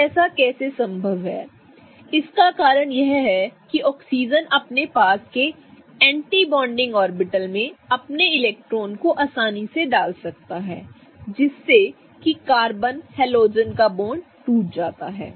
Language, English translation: Hindi, So, the reason why this is possible is because that oxygen can find the anti bonding orbital right next to it and can easily put its electrons such that the carbon and the halogen bond breaks